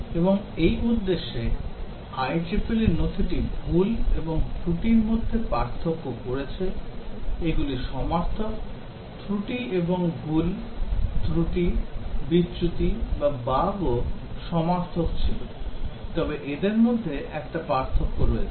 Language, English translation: Bengali, And for this purpose, the IEEE document distinguished between an error or mistake, these are synonyms, error and mistake, fault, defect or bug were also synonyms, but between these there is a difference